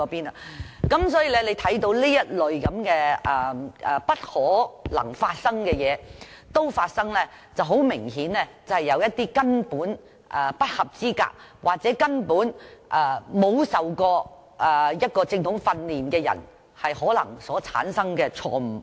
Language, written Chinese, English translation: Cantonese, 由此可見，這類不可能發生的事都會發生，很明顯，是有一些根本不合資格或沒有受過正統訓練的人造成的錯誤。, From this case we learn that this type of unimaginable things can happen . It is very obvious that these are mistakes committed by some unqualified workers or those without receiving any formal training